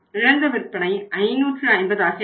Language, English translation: Tamil, New lost sales will be 550